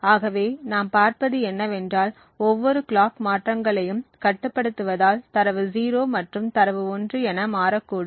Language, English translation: Tamil, So, what we see is that every tie the clock transitions, it is likely that the data 0 and data 1 may transition